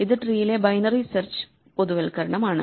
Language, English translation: Malayalam, So, this is very much a generalization of binary search in the tree